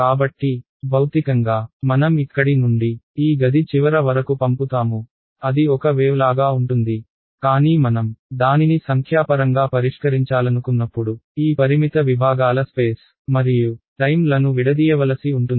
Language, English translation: Telugu, So, physically I send away from here to the end of this room it goes like a wave, but when I want to solve it numerically I have to discretize chop up space and time of this finite segments